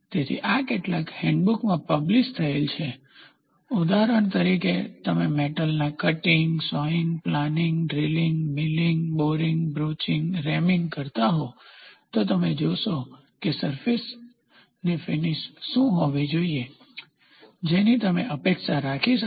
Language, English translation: Gujarati, So, this is published in several hand books for example, you take metal cutting, sawing, planning, drilling, milling, boring, broaching, reaming you will see what should be the surface finish we can expect